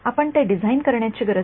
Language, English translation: Marathi, You do not have to design it